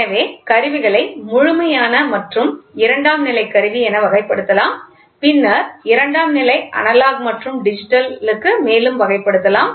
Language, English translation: Tamil, So, instruments can be classified into absolute and secondary, then, the secondary can be further classified in to analog and digital